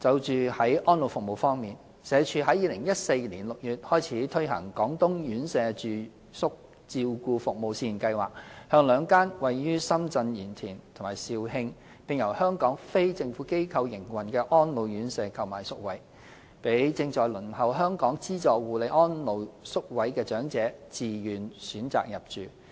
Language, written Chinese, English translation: Cantonese, 在安老服務方面，社署自2014年6月開始推行"廣東院舍住宿照顧服務試驗計劃"，向兩間位於深圳鹽田和肇慶，並由香港非政府機構營運的安老院舍購買宿位，讓正在輪候香港資助護理安老宿位的長者自願選擇入住。, On the provision of elderly services SWD has implemented the Pilot Residential Care Services Scheme in Guangdong since June 2014 . Under the scheme the Government purchases places from two residential care homes for the elderly RCHEs located in Yantian Shenzhen and Zhaoqing and operated by Hong Kong non - governmental organizations . The scheme enables elderly persons waiting for subsidized care - and - attention places in Hong Kong to choose to reside in the two participating RCHEs